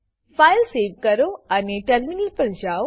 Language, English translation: Gujarati, Save the file and switch to terminal